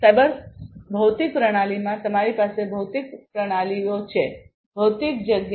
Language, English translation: Gujarati, So, in the cyber physical system, you have the physical systems the physical space, you have the cyberspace